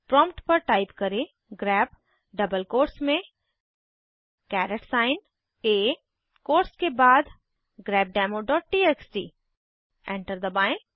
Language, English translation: Hindi, We type at the prompt: grep within double quotes caret sign A after the quotes grepdemo.txt Press Enter